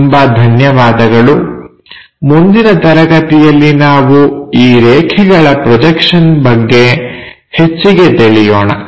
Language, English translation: Kannada, So, thank you very much in the next class we will learn more about these line projections